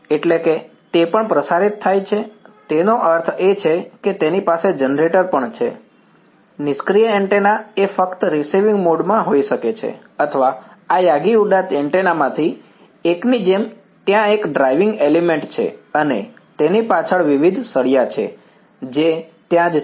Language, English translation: Gujarati, That is it is also radiating; that means, it also has a generator, passive antenna could be is just sort of in receiving mode or like a one of these Yagi Uda antennas, there is one driving element and there are various rods behind it which are there right